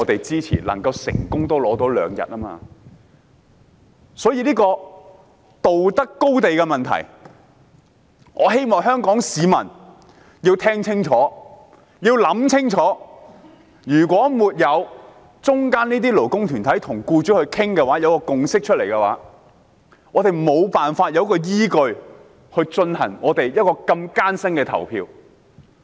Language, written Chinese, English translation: Cantonese, 這牽涉道德高地的問題。我希望香港市民聽清楚和想清楚，如果沒有擔當中間人角色的勞工團體與僱主商討及達成共識，我們便缺乏依據進行這項得來不易的表決。, As the issue of moral high ground is involved I hope that Hong Kong people can listen and think carefully . Without the labour groups which play the role of intermediaries discussing with employers in order to reach consensus we would not have the justifications to conduct this hard - earned voting